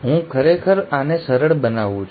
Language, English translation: Gujarati, I am really simplifying this